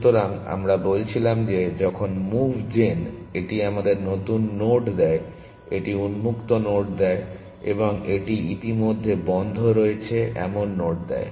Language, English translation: Bengali, So, we had said, so, when we say moveGen it gives new nodes, it gives nodes on open and it gives nodes which are already on closed